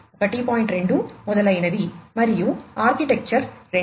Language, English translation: Telugu, 2 etcetera, and architecture 2, 2